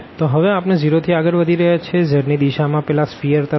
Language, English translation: Gujarati, So, we are moving from 0 in the direction of z to that sphere